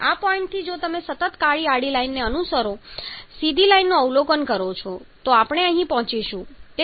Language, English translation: Gujarati, So this is a point from this point If you follow that the continuous black horizontal line observe the straight line, then we reach here